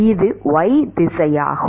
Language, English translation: Tamil, What about x direction